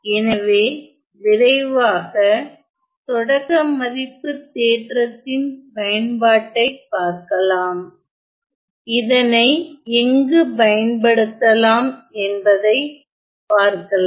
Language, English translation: Tamil, So, let us look at a quick application of this initial value theorem, as to where we can apply this right